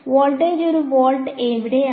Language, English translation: Malayalam, Where all is the voltage one volt